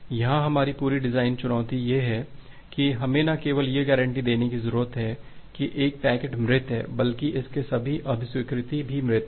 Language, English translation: Hindi, Well our entire design challenge here is that, we need to guarantee not only that a packet is dead, but all acknowledgement of it are also dead